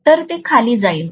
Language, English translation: Marathi, So it will go down